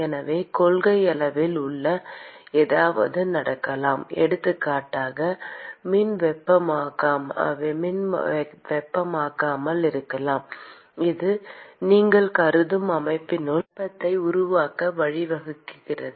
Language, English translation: Tamil, So, in principle something could be happening inside, for example there could be electrical heating, which leads to generation of heat inside the system that you are considering